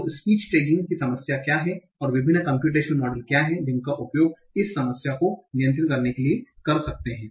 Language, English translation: Hindi, So what is the problem of part of speech tagging and what are the different computational models that you can use to handle that